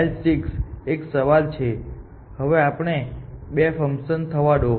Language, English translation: Gujarati, L 6 is the question; so, let there be 2 functions